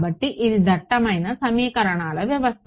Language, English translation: Telugu, So, it was the dense system of equations